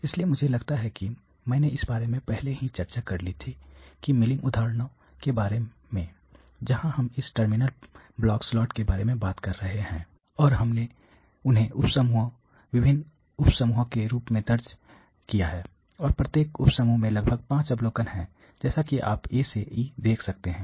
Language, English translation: Hindi, So, I think I had discussed this earlier in quite bit of details the milling examples where we are talking about this terminal block slot, and we have recorded them as sub group various sub groups, and each sub group has about 5 observations as you can see A to E